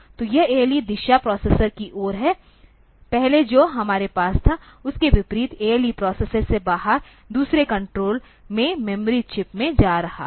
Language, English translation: Hindi, So, this ALE direction is towards the processor, unlike previously what we had, was ALE was coming out from the processor going to the other control to the memory chips